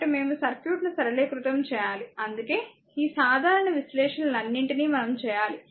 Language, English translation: Telugu, So, we have to simplify the circuit the that is why we have to go all these ah simple analysis